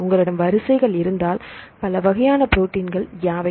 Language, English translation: Tamil, So, if you have the sequences what are the all several types of proteins